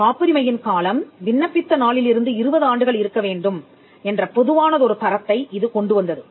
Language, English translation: Tamil, It brought a common standard that the term of a patent shall be 20 years from the date of application